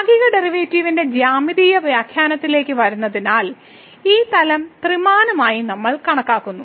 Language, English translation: Malayalam, So, coming to Geometrical Interpretation of the Partial Derivative, we consider this plane three dimensional